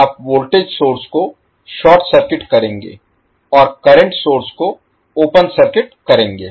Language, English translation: Hindi, You will short circuit the voltage source, and open circuit the current source